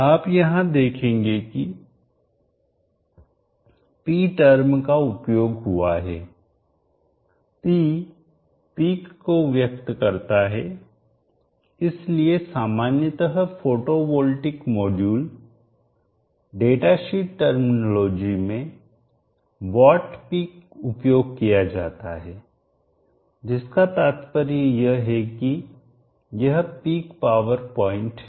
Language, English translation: Hindi, 18 volts you will notice that the term e is used here e represents peak so generally in photovoltaic module datasheet terminology what is used is that peak implying that it is the peak power point